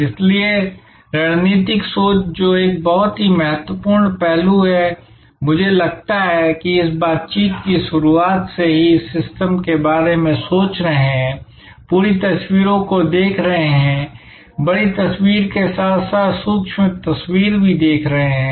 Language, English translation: Hindi, So, strategic thinking which is a very important aspect, I think right from the beginning of this interaction sessions, we have been talking about systems thinking, seeing the whole pictures, seeing the big picture as well as the micro picture